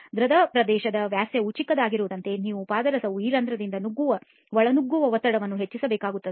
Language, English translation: Kannada, So as the pore entry diameter become smaller and smaller you need to increase the pressure at which mercury will intrude these pores, okay